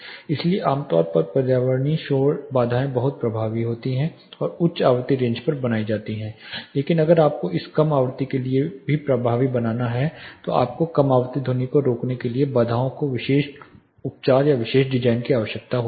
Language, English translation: Hindi, So, typically environmental noise barriers are much effective and made on high frequency range, but if you have to make it effective for low frequency you need a special treatment or special design of barriers in order to curtail low frequency sounds